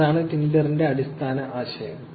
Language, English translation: Malayalam, That is the basic idea for Tinder